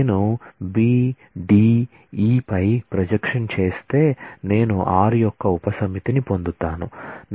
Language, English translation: Telugu, I will get a subset of r if I do a projection on B D E I will get a subset of s